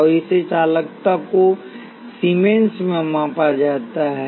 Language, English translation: Hindi, And this conductance is measured in Siemens